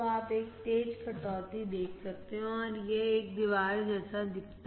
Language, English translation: Hindi, So, you can see a sharp cut and it looks like a wall